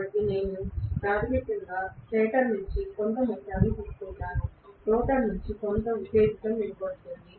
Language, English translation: Telugu, So I am probably going to have basically some amount of current drawn from the stator, some amount of excitation given from the rotor